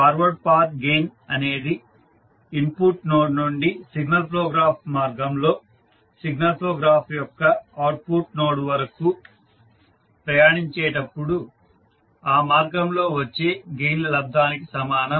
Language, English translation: Telugu, Forward Path gain is the product of gain found by traversing the path from input node to the output node of the signal flow graph and that is in the direction of signal flow